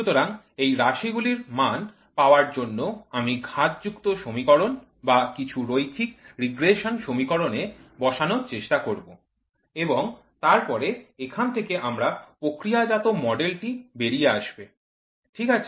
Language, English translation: Bengali, So, for these variables I would try to put either in the power law or in the linear regression equation of some magnitude and then you get of the get out with the processed model, ok